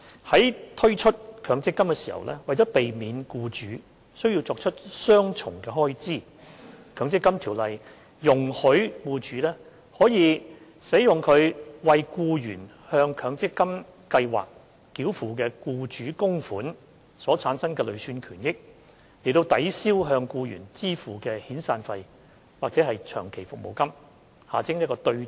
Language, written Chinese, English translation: Cantonese, 在推出強積金計劃時，為避免僱主需要作出雙重開支，該條例容許僱主可使用其為僱員向強積金計劃繳付的僱主供款所產生的累算權益，抵銷向僱員支付的遣散費或長期服務金。, Along with the introduction of MPF schemes the Ordinance allows employers to use the accrued benefits in an employees MPF account derived from their contributions to offset the severance or long service payments payable to that employee so that employers would not need to make payments twice